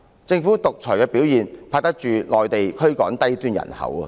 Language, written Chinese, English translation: Cantonese, 政府獨裁的表現比得上內地驅趕低端人口的行為。, The performance of the governments dictatorship is comparable to the behavior of the Mainland in evicting the low - end population